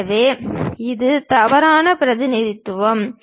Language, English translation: Tamil, So, this is a wrong representation